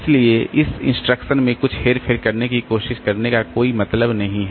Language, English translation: Hindi, So, that way there is no point in trying to do some manipulation in this ordering